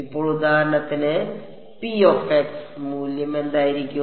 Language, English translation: Malayalam, So, for example, what will be the value of p x